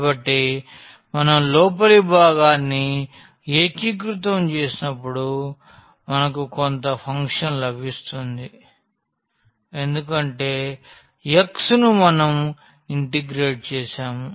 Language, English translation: Telugu, So, as a result when we integrate the inner one we will get some function because, over x we have integrated